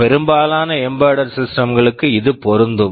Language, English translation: Tamil, This is true for most of the embedded systems